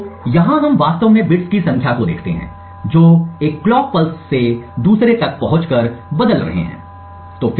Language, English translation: Hindi, So here we actually look at the number of bits that toggle from one clock pulse to another